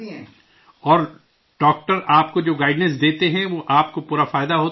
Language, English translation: Urdu, And the guidance that doctors give you, you get full benefit from it